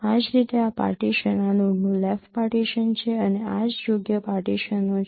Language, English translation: Gujarati, Similarly this partition this is the left partition of this note and this is the right partitions